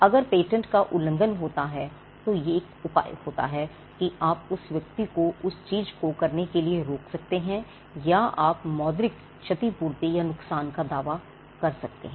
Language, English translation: Hindi, So, patents offer protection if there is infringement or violation of a patent, there is a remedy you can stop the person from asking him not to do that thing or you can claim what we call monetary compensation or damages